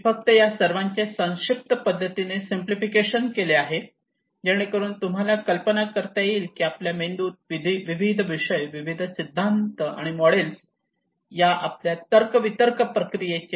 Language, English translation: Marathi, I just simplified all of them in a concise manner so that you can get an idea how this our reasoning process in brain various disciplines, various theories and models describe